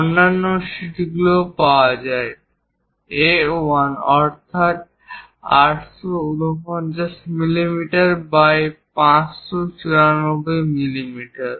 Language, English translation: Bengali, There are other sheets are also available A1 849 millimeters by 594 millimeters